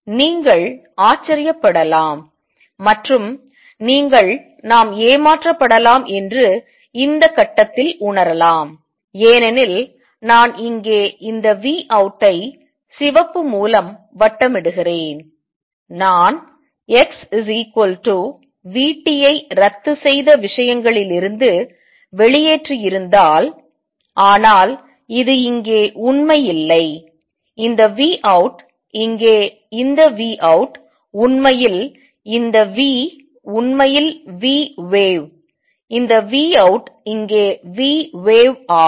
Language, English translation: Tamil, You may wonder and you may feel at this point that may be we cheated, because this v out here which I am in circling by red incircling by red out here if I had put x equals v t probably out of canceled things, but that is not true this v out here, this v out here this v is actually v wave this v out here is v wave